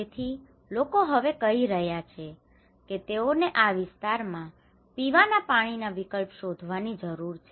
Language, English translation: Gujarati, So, people are saying now that okay, we need alternative drinking water in this area